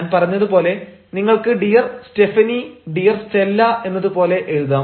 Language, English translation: Malayalam, as i said, you can write dear stephanie, dear stella, like that